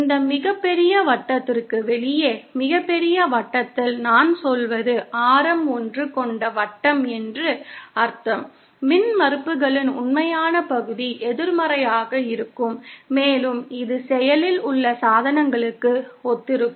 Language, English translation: Tamil, Outside this biggest circle, by biggest circle I mean the circle having radius 1, the real part of the impedances will be negative and that corresponds to active devices